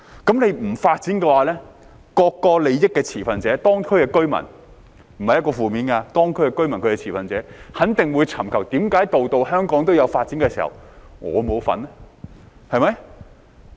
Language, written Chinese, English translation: Cantonese, 不發展的話，各個作為利益持份者的當區居民——這並非負面的話，當區居民是持份者——肯定會質疑，為何香港每區都有所發展時，他們卻沒有份兒，對嗎？, If there is no development the local residents being stakeholders themselves―this is not a negative statement; the local residents are stakeholders―will certainly question why they are left out when every district in Hong Kong is under development right?